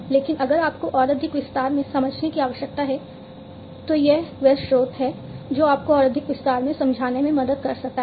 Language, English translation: Hindi, But if you need to understand in further more detail this is the source that can help you to understand in further more detail